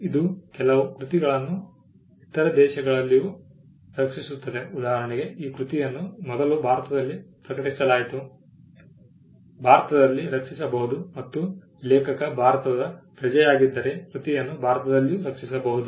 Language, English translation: Kannada, It also protects certain works in other conditions for instant example the work was first published in India, can be protected in India and if the author is a citizen of India the work can be protected in India as well